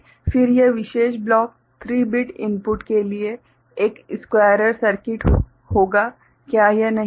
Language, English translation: Hindi, Then this particular block will be a squarer circuit for a 3 bit input, isn’t it